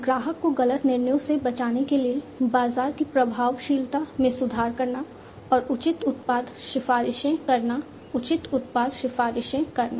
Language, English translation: Hindi, For the customer to protect from wrongful decisions, improve market effectiveness, and picking appropriate product recommendations, making appropriate product recommendations